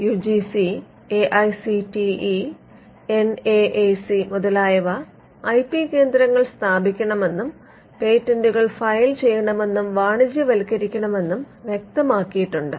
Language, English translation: Malayalam, The UGC, AICTE and NAAC has mentioned in many words they need to set up IP centres and to be filing patterns and even to commercialize them